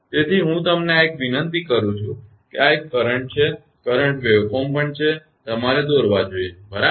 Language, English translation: Gujarati, So, I request you this one and this one this is current, current waveform also that you should draw right